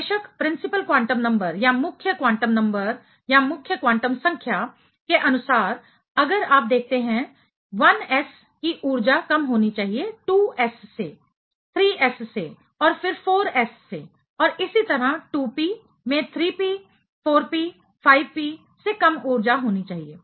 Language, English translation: Hindi, Of course, principal quantum number wise if you look at 1s should be having lower energy than 2s then 3s and then 4s and so on; 2p should be having lower energy than 3p, 4p, 5p